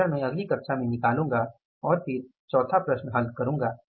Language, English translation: Hindi, That variance I will do in the next class and then solve the fourth problem